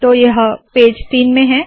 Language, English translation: Hindi, So this is in page 3